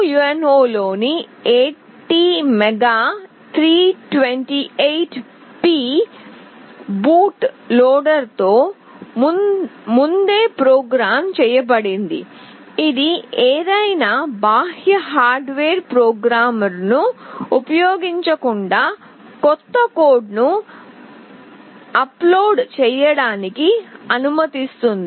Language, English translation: Telugu, The ATmega328P on the Arduino UNO comes pre programmed with a boot loader that allows to upload new code to it without the use of any external hardware programmer